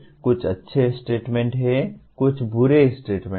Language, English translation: Hindi, Some are good statements some are bad statements